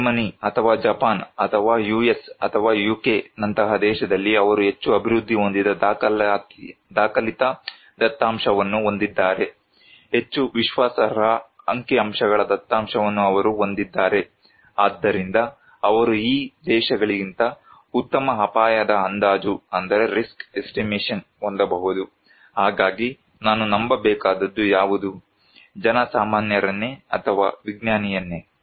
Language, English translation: Kannada, In a country like Germany or Japan or US or UK that is more developed documented data they have, more reliable statistical data they have so, they can have better risk estimation than these countries, so then which one I should believe; the laypeople or the scientist